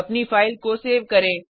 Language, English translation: Hindi, Save your file